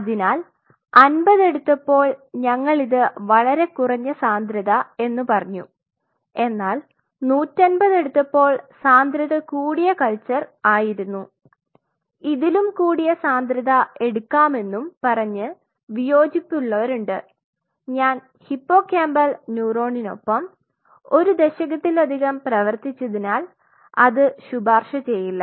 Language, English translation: Malayalam, So, when we go for 50 we talk about a very low density and it took 150 these are high density cultures again there are people who may disagree they can go a little higher also, but I personally after working with hippocampal neuron for more than a decade I will not recommend that